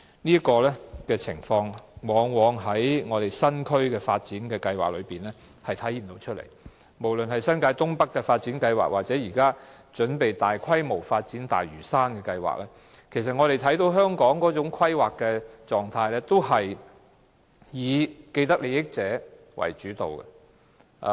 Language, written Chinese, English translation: Cantonese, 這種情況往往見於政府對新發展區的規劃，無論是新界東北發展計劃，以至當局準備大規模發展的大嶼山發展計劃，我們都看到，香港的規劃模式是以既得利益者為主導。, This is invariably the Governments approach when planning for new development areas both in the case of the North East New Territories New Development Areas project or the large - scale Lantau Development currently under planning by the authorities . Clearly the mode of planning in Hong Kong is dictated by people with vested interests